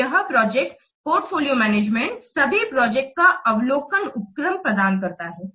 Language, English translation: Hindi, So, this project portfolio management, it provides an overview of all the projects that an organization is undertaking